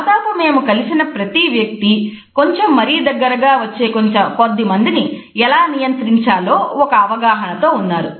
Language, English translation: Telugu, Nearly everyone we met seem to agree on how to cope with someone, who gets a little too close